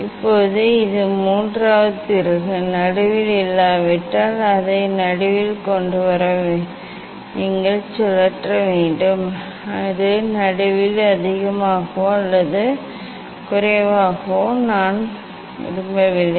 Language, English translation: Tamil, now, this one the third screw, you have to rotate to bring it in middle if it is not in middle it is more or less in middle I do not want to